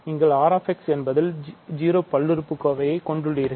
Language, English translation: Tamil, So, inside R x you have degree 0 polynomials